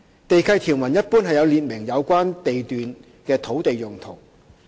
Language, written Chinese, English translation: Cantonese, 地契條文一般有列明有關地段的土地用途。, Land use of the relevant lots is generally stipulated in the lease conditions